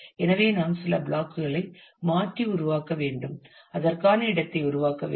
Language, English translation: Tamil, So, then we will have to create replace some of the blocks and create space for that